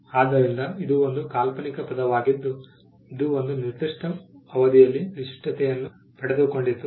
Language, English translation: Kannada, So, that is a fanciful term which has acquired distinctness over a period of time